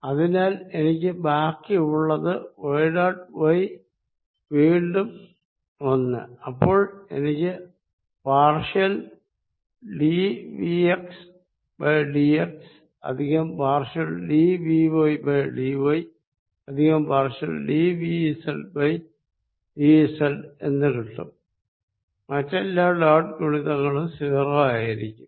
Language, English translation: Malayalam, So, I left with this plus y dot y gives me again one d v by d y plus partial v z by partial z all other dot products gives me 0